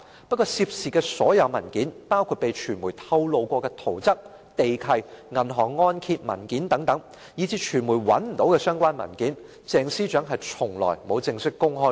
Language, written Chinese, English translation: Cantonese, 不過，涉事的所有文件，包括被傳媒披露過的圖則、地契和銀行按揭文件等，以致傳媒找不到的相關文件，鄭司長從來也沒有正式公開過。, However Ms CHENG has never formally disclosed all the documents involved including building plans conveyances on sale and mortgage agreements disclosed by the media as well as documents the media failed to find